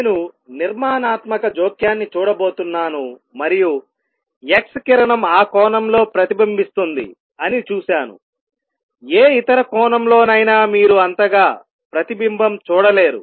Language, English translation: Telugu, I am going to see a constructive interference and I am going to see x ray is reflected at that angle, at any other angel you will not see that much of reflection